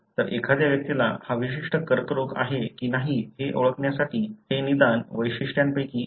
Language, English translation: Marathi, So, this is one of the diagnostic features even to identify whether a person is having this particular cancer or not